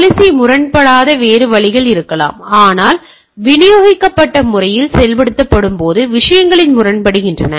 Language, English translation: Tamil, There can be other way the policy may not be a conflicting, but while implemented in a distributed manner that can be conflicting the things